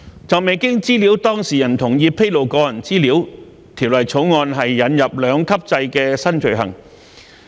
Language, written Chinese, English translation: Cantonese, 就未經資料當事人同意披露個人資料，《條例草案》引入兩級制的兩項新罪行。, Regarding the disclosure of personal data without the data subjects consent the Bill introduces two new offences under a two - tier structure